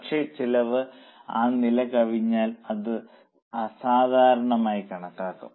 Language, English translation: Malayalam, But if the cost exceed that level, then that will be considered as abnormal